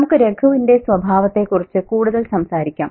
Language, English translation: Malayalam, And let's talk a bit more about Ragu's character